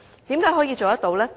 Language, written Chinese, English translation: Cantonese, 為何可以做到呢？, How can they achieve this target?